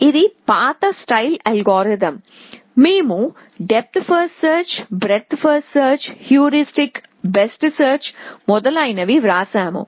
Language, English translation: Telugu, This is a old style algorithm that we wrote depth first search, breath first search, heuristic best first search and so on